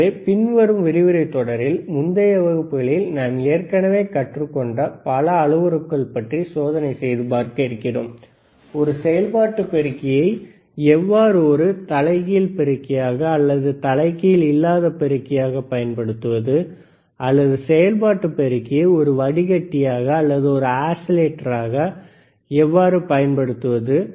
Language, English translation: Tamil, So, in the following lectures series, we will see experiments, and several parameters that we have already learnedt in the previous classes, whether it is operational amplifier you have to use a operational amplifier, as an inverting amplifier or it is a non inverting amplifier, or we talk operation amplifier as a filter or we talk operation amplifier as an oscillator